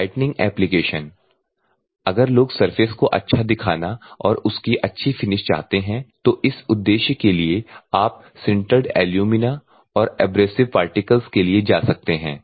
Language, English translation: Hindi, The brightening application, if at all people want to get the surface finish and good appearance also, for that purpose you can go for sintered alumina and other abrasive particles